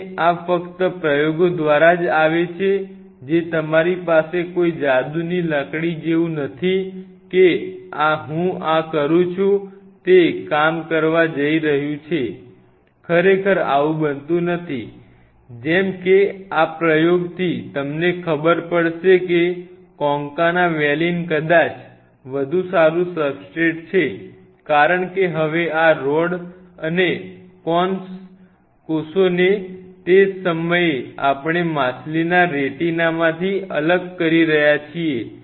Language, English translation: Gujarati, And this only comes via experiments you really do not have any like in a magic wand I do this it is going to work it really never happens like that, like this experiment took us quite a couple of years to figure out that you know is the concana valine maybe a better substrate because now these rod and cone cells what at that time we are isolating this rod and cone cells from the fish retina